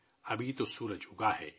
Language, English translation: Urdu, Well, the sun has just risen